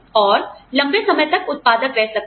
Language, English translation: Hindi, And, be productive for longer hours